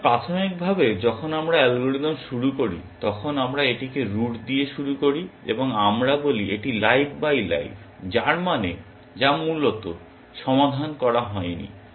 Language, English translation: Bengali, So, initially when we start the algorithm, we start it with the root and we say it is live by live we mean which is not solved essentially